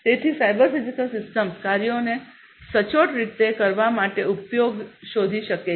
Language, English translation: Gujarati, So, cyber physical systems can find use to perform the tasks accurately, you know